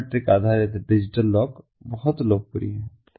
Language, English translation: Hindi, biometric based digital locks are very popular